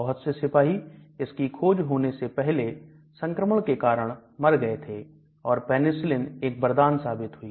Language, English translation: Hindi, Many soldiers before the advent of Penicillin used to die because of infection and the Penicillin was a biggest boon